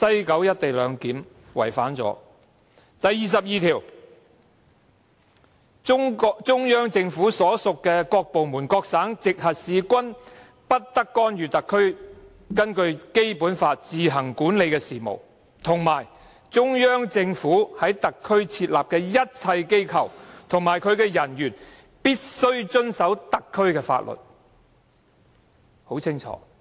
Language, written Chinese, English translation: Cantonese, 《基本法》第二十二條訂明，中央人民政府所屬各部門、各省、直轄市均不得干預特區根據《基本法》自行管理的事務，以及中央政府在特區設立的一切機構及其人員必須遵守特區的法律，這是很清楚的規定。, Article 22 of the Basic Law stipulates that no department of the Central Peoples Government and no province or municipality directly under the Central Government may interfere in the affairs which HKSAR administers on its own in accordance with the Basic Law and that all offices set up in HKSAR by the Central Government and the personnel of these offices shall abide by the laws of HKSAR . The relevant requirements are as crystal clear